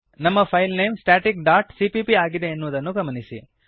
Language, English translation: Kannada, Note that our file name is static dot cpp Let me explain the code now